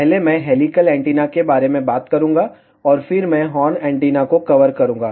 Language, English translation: Hindi, First, I will talk about helical antennas, and then I will cover horn antennas